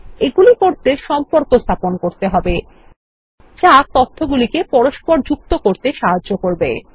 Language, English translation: Bengali, All of these can be achieved by setting up relationships, which helps interlink the data